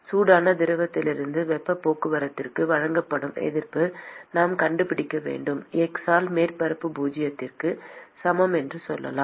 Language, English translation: Tamil, We need to find the resistance which is offered for heat transport from the hot fluid to the let us say surface at x is equal to zero